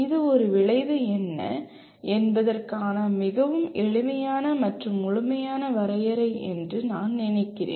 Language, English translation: Tamil, I feel this is about the simplest and most what do you call complete definition of what an outcome is